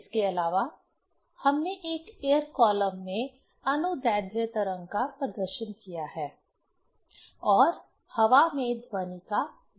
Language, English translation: Hindi, Also, we have demonstrated longitudinal wave in an air column and determined the velocity of sound in air